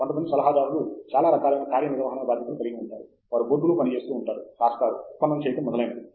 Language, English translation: Telugu, Some advisors are very hands on, they work with you on the board, write down, derive, etcetera